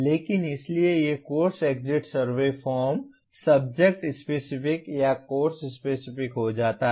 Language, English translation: Hindi, But, so these course exit survey forms become subject specific or course specific